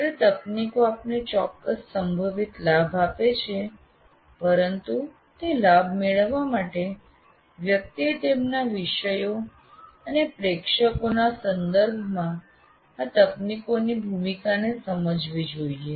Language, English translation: Gujarati, While technologies give you certain potential advantages, but to get those advantages, you have to understand the role of these technologies with respect to your particular subject and to your audience